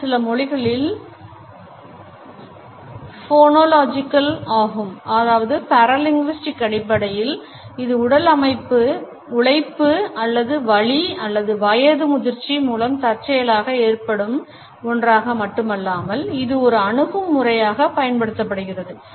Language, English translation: Tamil, It is phonological in certain languages but paralinguistically also besides being caused involuntarily by physical exertion or pain or old age for that matter, it is also used in an attitudinal manner